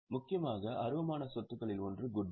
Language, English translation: Tamil, One of the important intangible assets is goodwill